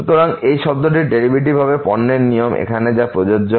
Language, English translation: Bengali, So, the derivative of this term will be the product rule will be applicable here